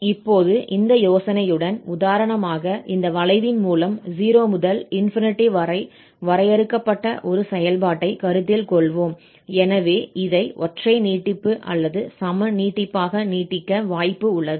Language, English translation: Tamil, So, with this idea now, let us just consider, for instance, a function defined here in 0 to 8 by this curve, so, we have the possibility of extending this as an odd extension or an even extension